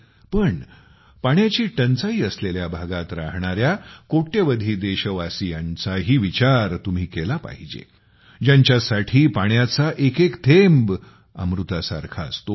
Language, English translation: Marathi, But, you also have to always remember the crores of people who live in waterstressed areas, for whom every drop of water is like elixir